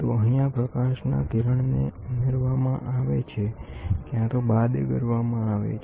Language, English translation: Gujarati, So, here the light wave can be subtracted or added